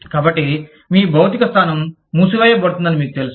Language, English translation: Telugu, So, you know, your physical location, is closing down